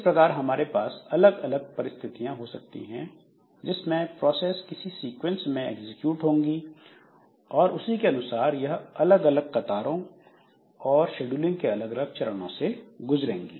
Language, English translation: Hindi, So this way we can have different type of situations in which the processes may be executed in some sequence and accordingly they go through different queues and different scheduling stages in the system